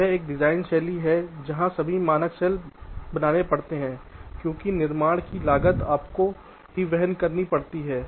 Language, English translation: Hindi, this is a design style where all the masks have to be created because the cost of fabrication has to be born by you only